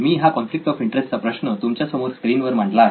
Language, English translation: Marathi, This is the conflict of interest for you as you see it on the screen